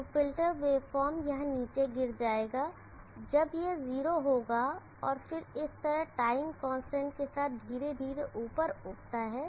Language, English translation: Hindi, So the filter wave form will fall down here when it is 0, and then rise up gradually with the time constant like this